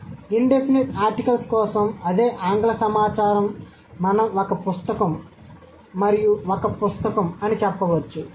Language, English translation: Telugu, So, the same English data for the indefinite articles we can say one book and a book